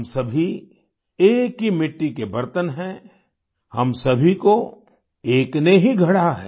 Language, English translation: Hindi, All of us are earthen vessels of one clay; all of us have been coiled and shaped by the One